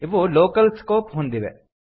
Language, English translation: Kannada, These have local scope